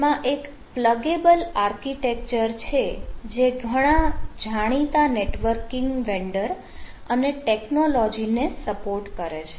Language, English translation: Gujarati, so it has a pluggable architecture that supports many popular networking vendors and technology